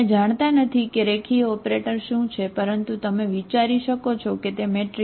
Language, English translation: Gujarati, You do not know what is the linear operator but you can think of it is a matrix